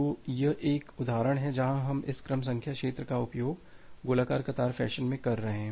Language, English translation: Hindi, So, this is a example where we are using this sequence number field in a circular queue fashion